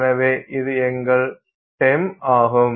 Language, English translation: Tamil, So, that is your TEM